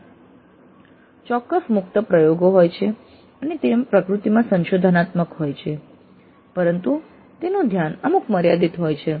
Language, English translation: Gujarati, Often they have certain open ended experimentation and they are exploratory in nature but they do have certain limited focus